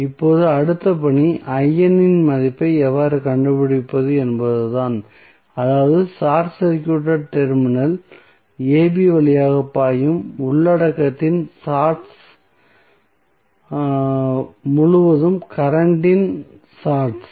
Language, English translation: Tamil, Now, the next task is how to find out the value of I n that means the shorts of current across the shorts of content flowing through the short circuited terminal AB